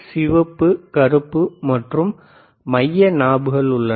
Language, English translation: Tamil, There is a red, and there is a black and, in the centre knobs,